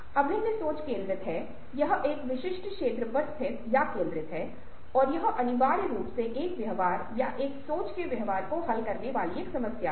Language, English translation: Hindi, convergent thinking is focused, it is ah located or centered on a specific area and ah it is essentially a problem solving kind of a ah behaviour, thinking behaviour, divergent thinking